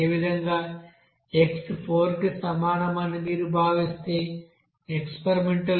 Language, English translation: Telugu, Similarly, if you are considering that x is equal to 4, experimental value is 6